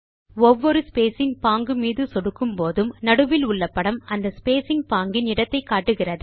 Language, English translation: Tamil, As we click on each spacing type, the image in the centre shows the location of the spacing type